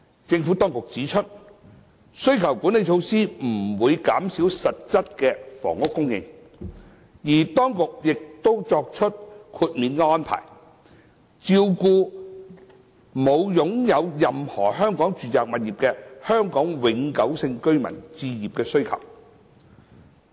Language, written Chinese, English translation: Cantonese, 政府當局指出，需求管理措施不會減少實質房屋供應，而當局亦已作出豁免安排，照顧沒有擁有任何香港住宅物業的香港永久性居民的置業需求。, The Administration has pointed out that the demand - side management measures will not reduce the actual housing supply and exemption arrangements have been provided to cater for the home ownership needs of Hong Kong permanent residents HKPRs who do not own any residential property in Hong Kong